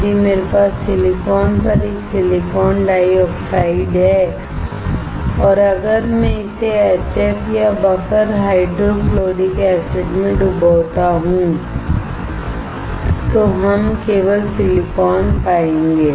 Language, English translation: Hindi, If I have a silicon dioxide on silicon and if I dip it in HF or buffer hydrofluoric acid, we will find only silicon